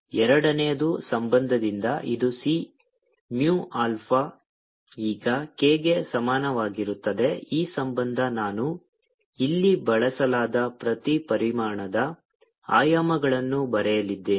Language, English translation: Kannada, from the second relation, which is k is equal to c, mu, info, this relation i am going to write ah, the dimensions of every quantities used here